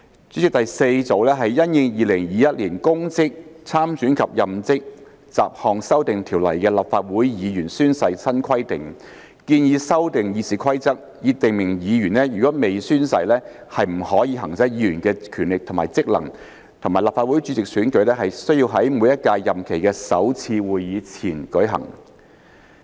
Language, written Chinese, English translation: Cantonese, 主席，第四組是因應《2021年公職條例》的立法會議員宣誓新規定，建議修訂《議事規則》以訂明議員如未宣誓，不得行使議員的權力或職能，以及立法會主席選舉須在每屆任期的首次會議前舉行。, President the fourth group consists of amendments arising from the new requirements for oath taking by Members of the Legislative Council under the Public Offices Ordinance 2021 proposing that RoP be amended to provide that a Member who has not made or subscribed an oath or affirmation shall not exercise the powers or functions of a Member and that the election of the President shall be held before the first meeting of a term